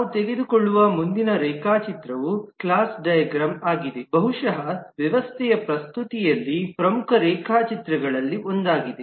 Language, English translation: Kannada, Next diagram we take up is the class diagram, which is possibly one of the more important diagrams in the presentation of a system